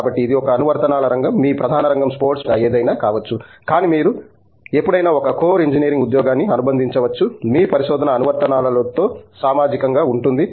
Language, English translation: Telugu, So, that is an application area, your core area may be sports medicine or something, but you can always associate a core engineering job, social with applications of what your research is